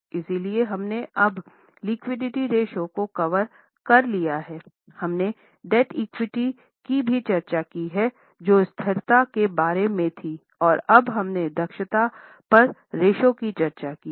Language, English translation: Hindi, Then we have also discussed the ratios like debt equity, which were about stability, and now we have discussed the ratios on efficiency